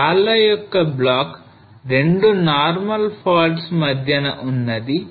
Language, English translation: Telugu, So the block of rocks thrown up between the 2 normal faults